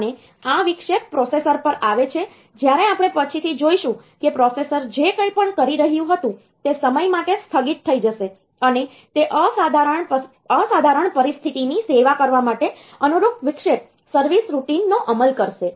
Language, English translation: Gujarati, And this interrupt comes to the processor when we will see later that whatever the processor was doing that will get suspended for the time being and it will go into execution of the corresponding interrupt service routine for servicing that extraordinary situation